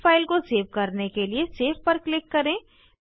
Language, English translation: Hindi, Click on Save to save this file